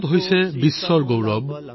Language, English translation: Assamese, India is the pride of the world brother,